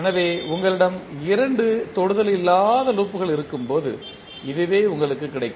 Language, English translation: Tamil, So, this what you will get when you have two non touching loops